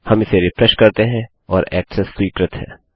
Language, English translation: Hindi, We refresh this and Access is granted